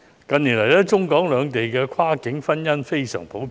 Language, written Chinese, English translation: Cantonese, 近年來，中港兩地的跨境婚姻十分普遍。, Cross - boundary marriages between Hong Kong and the Mainland have become rather common in recent years